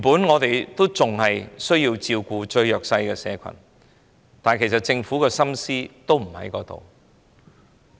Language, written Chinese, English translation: Cantonese, 我們原本需要照顧最弱勢的社群，但政府的心思不在於此。, There is originally a need for us to take care of the most underprivileged but the Government has no intention to do so